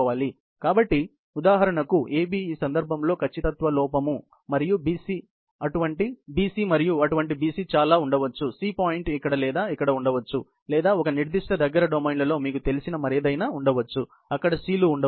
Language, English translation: Telugu, So, AB for example in this case, is the accuracy error and BC and there can be many such BC; C point can be here or here or any other such you know in a certain close domain, may be, where the Cs could be there